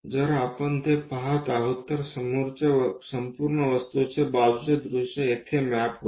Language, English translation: Marathi, So, if we are looking at that, the side view of this entire object maps here